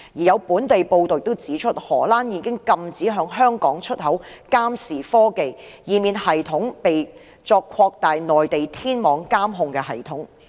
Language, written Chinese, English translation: Cantonese, 有本地報道也指出，荷蘭已經禁止向香港出口監視科技，以免系統被用作擴大內地天網監控系統之用。, There are local reports that Holland has banned the export of surveillance technology to Hong Kong for fear that the technology would be used to expand the control surveillance system in the Mainland